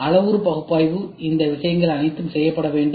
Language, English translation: Tamil, Parametric analysis all these things have to be done